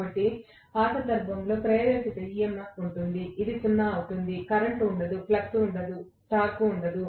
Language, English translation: Telugu, So, in that case there will be induced EMF which will be 0, there will be no current, there will be no flux, there will be no torque